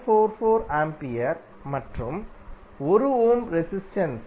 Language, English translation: Tamil, 44 ampere and 1 ohm resistance is 0